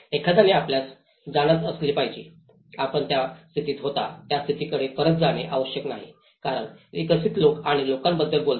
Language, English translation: Marathi, One has to look at you know, it is not necessarily that we go back to the situation where it was, because people as developed and talks about people